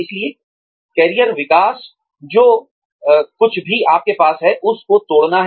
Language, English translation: Hindi, So, career development is, adding on, to whatever you have